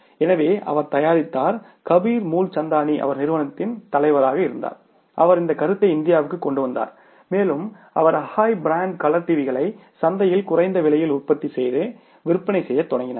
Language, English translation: Tamil, So, he manufactured, is Kabir Mool Chandani who was the, say, head of that company, he brought that concept to India and he started manufacturing and selling those, say, Akai brand colour TVs in the market and at a very say you can call it is a lesser price